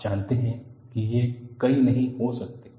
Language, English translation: Hindi, You know, there cannot be many